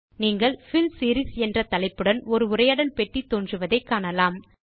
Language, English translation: Tamil, You see that a dialog box appears with the heading as Fill Series